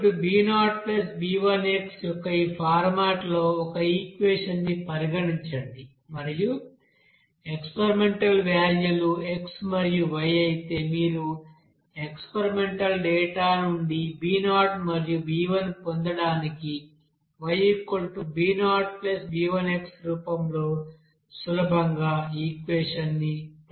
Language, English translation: Telugu, So we you know that, then consider an equation like in this format of Y is equal to b0 + b1x and if you know that experimental value of x and y then you can easily hone that or propose that equation in the form of Y is equal to b0 + b1x just to and also obtain that b0 and b1 from this experimental data